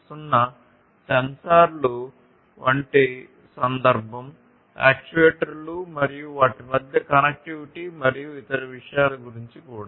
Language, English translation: Telugu, 0 context like you know sensors actuators and the connectivity between them and the different other things